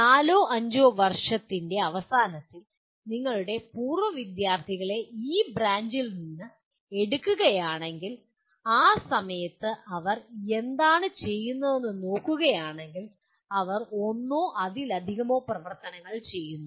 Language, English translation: Malayalam, That means if you take your alumni from this branch at the end of four or five years, if you look at what they are at that time doing, they are doing one or more of these activities